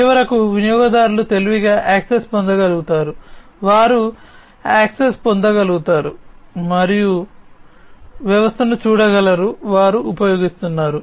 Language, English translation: Telugu, And finally, the users are able to get access in a smarter way, they are able to get access and view the system, that they are using